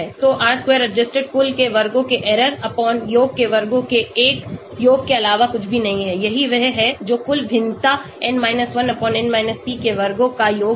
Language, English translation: Hindi, So R square adjusted is nothing but 1 sum of squares of the error/sum of squares of the total, that is this one this is sum of squares of the total variance n 1/n p